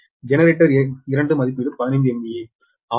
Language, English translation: Tamil, generator two rating is fifteen m v a